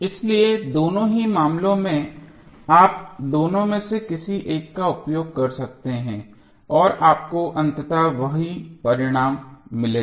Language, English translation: Hindi, So, in both of the cases you can use either of them and you will get eventually the same result